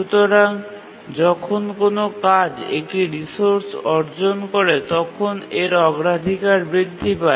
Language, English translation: Bengali, When a task is granted a resource, its priority actually does not change